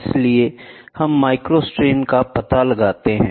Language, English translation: Hindi, So, that we find out the micro strains